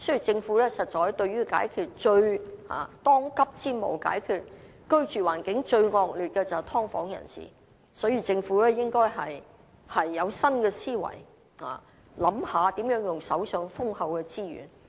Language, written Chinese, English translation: Cantonese, 政府當務之急，是協助居住環境最惡劣的"劏房人士"，所以政府應以新思維，考慮如何利用手上豐厚的資源。, The pressing task of the Government is to help people living in subdivided units as their living conditions are extremely terrible . For this reason the Government should adopt a new way of thinking and consider how the abundant resources at hand should be spent